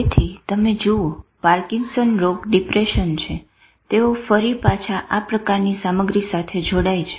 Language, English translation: Gujarati, So you see Parkinson's disease, depression, they again go connected with these type of stuff